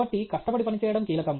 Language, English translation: Telugu, So, therefore, hard work is the key